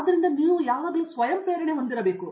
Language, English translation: Kannada, So, you need to have that self motivation